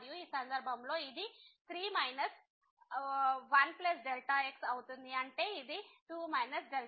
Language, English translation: Telugu, And, in this case this will be 3 minus 1 ; that means, it is a 2 minus